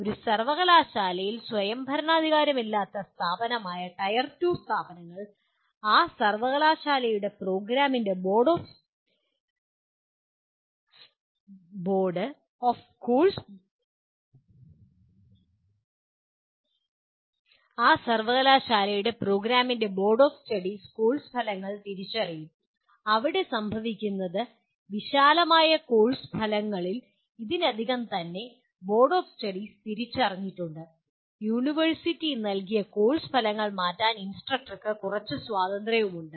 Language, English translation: Malayalam, In tier 2 institutions where institution is a non autonomous institution in a university, then the board of studies of the program of that university will identify the course outcomes and here what happens is within the broad course outcomes that are already identified by boards of studies, the instructor has some freedom to tweak the course outcomes given by the university